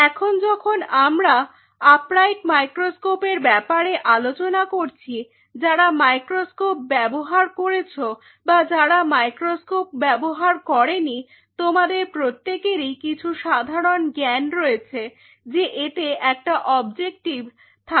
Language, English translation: Bengali, Or now when we talk about and upright microscope the thing is that those who have used microscope and those who have in used the microscope you have the basic knowledge that in your courier must have right it that it has an objective